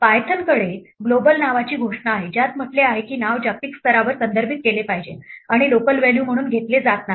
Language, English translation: Marathi, Python has a declaration called Global, which says a name is to be referred to globally and not taken as a local value